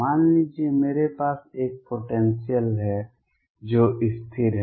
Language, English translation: Hindi, Suppose I have a potential which is constant